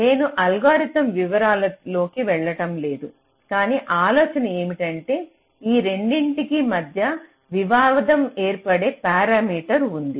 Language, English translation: Telugu, so i am not going with the details of the algorithm, but the idea is like this: there is a parameter that creates a tradeoff between these two